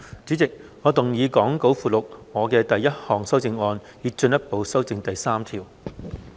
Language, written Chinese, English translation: Cantonese, 主席，我動議講稿附錄我的第一項修正案，以進一步修正第3條。, Chairman I move my first amendment to further amend clause 3 as set out in the Appendix to the Script